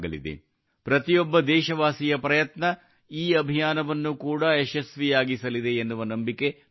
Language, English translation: Kannada, I am sure, the efforts of every countryman will make this campaign successful